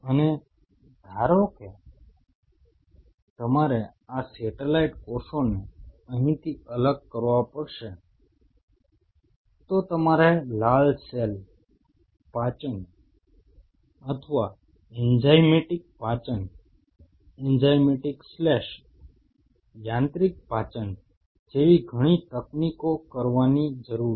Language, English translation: Gujarati, And suppose you have to isolate these satellite cells from here you needed to do a lot of the techniques what you have red cell digestion or enzymatic digestion, enzymatic slash mechanical digestion one